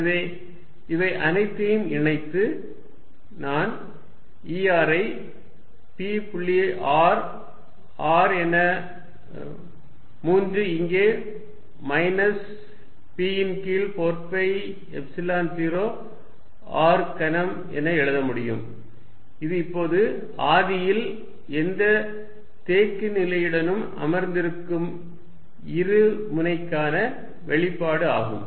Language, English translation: Tamil, So, combining all these I can write E r as p dot r r with the 3 here minus p over 4 pi Epsilon 0 r cubed, this is the expression for a dipole sitting with any orientation now at the origin